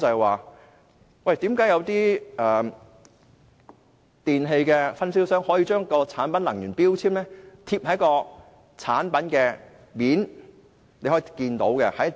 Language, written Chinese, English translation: Cantonese, 為何有些電器分銷商會把能源標籤貼在產品的表面，讓消費者可以看到？, Why do some electrical product distributors affix energy labels to the surfaces of products for consumers to see?